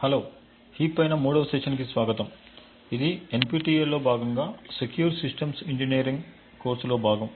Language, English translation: Telugu, Hello and welcome to this third demonstration for heaps, this is part of the Secure System Engineering course as part of the NPTEL